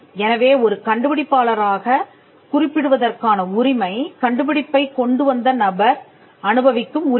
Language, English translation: Tamil, So, the right to be mentioned as an inventor is a right that the person who came up with the invention enjoys